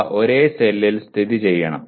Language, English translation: Malayalam, They should be located in the same cell